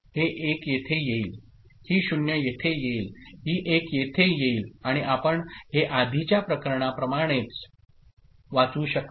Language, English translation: Marathi, This 1 comes over here, this 0 comes over here, this 1 comes over here and you can read this as 1 like the previous case ok